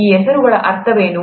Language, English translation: Kannada, What do these names mean